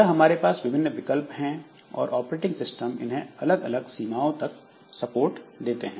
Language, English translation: Hindi, So, these are the different alternatives we have and again different operating systems will support it to different extends